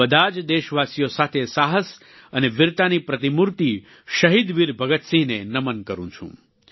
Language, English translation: Gujarati, I join my fellow countrymen in bowing before the paragon of courage and bravery, Shaheed Veer Bhagat Singh